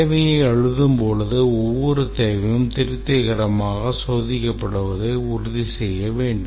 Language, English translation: Tamil, While writing the requirement document, we have to ensure that every requirement can be tested satisfactorily